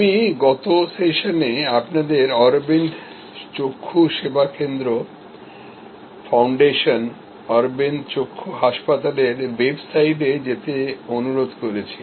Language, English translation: Bengali, I had requested you last time to go to the website of Aravind Eye Care, Aravind Eye Hospital, the foundation